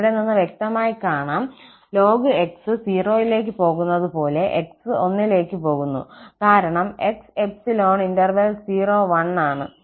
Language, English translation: Malayalam, Clearly, it is visible from here that ln x goes to 0 because x lies in the interval [0, 1)